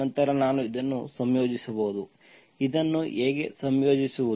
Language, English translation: Kannada, Then I can then I can integrate this, how to integrate this